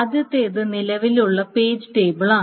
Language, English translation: Malayalam, goes to the current page table